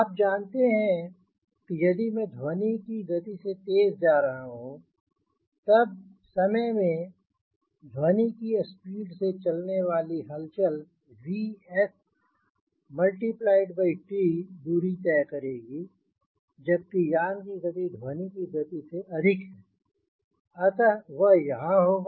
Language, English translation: Hindi, you know that if i moving with speed more than velocity of sound, in time t, the disturbance which moves with the velocity of sounds this is v s into t will be covered, but vehicle be more than the speed, vehicle speed being more than the speed of sound